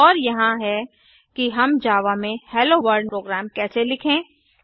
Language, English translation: Hindi, Here these are complete HelloWorld program in Java